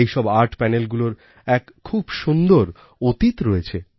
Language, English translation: Bengali, These Art Panels have a beautiful past